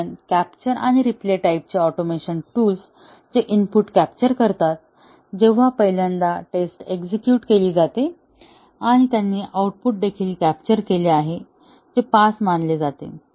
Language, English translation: Marathi, Because, the capture and replay type of automation tools that capture the input, when first time the test is run and they have also captured the output that was considered to be a pass